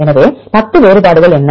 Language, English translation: Tamil, So, what are 10 variations